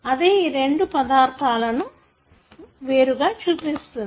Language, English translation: Telugu, That distinguishes these two elements